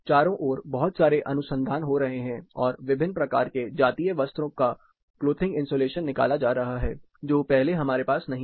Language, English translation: Hindi, There is lot of research happening around and different type of ethnic wears and what is there clothing insulation which we did not have our repository